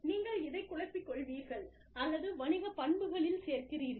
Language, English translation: Tamil, And, you mesh this, or, you add this to the business characteristics